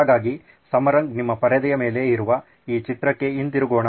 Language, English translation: Kannada, So, Samarang coming back to this picture on your screen